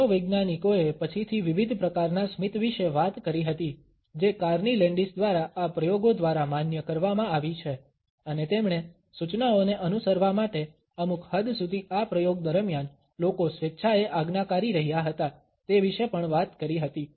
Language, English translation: Gujarati, Psychologists later on talked about the different types of a smiles which has been in a validated by these experiments by Carney Landis and they also talked about how willingly people had been obedient during this experiment going to certain extent in order to follow the instructions